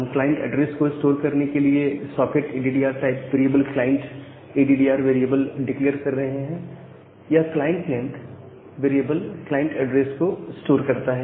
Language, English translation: Hindi, And we are declaring this client addr variable that sock sockaddr type of variable to store the client address and this client length this variable store the address of the client